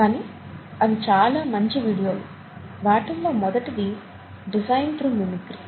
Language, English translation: Telugu, But they are very good videos, the first one is design through mimicry